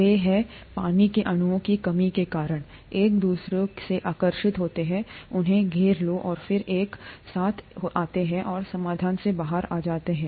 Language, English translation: Hindi, They are, they get attracted to each other because of the lack of water molecules that surround them and then they come together and fall out of solution